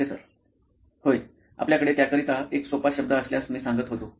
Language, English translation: Marathi, Yeah I was going to say if you have a simpler word for that